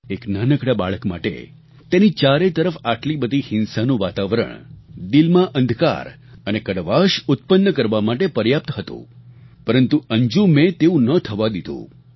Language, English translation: Gujarati, For a young child, such an atmosphere of violence could easily create darkness and bitterness in the heart, but Anjum did not let it be so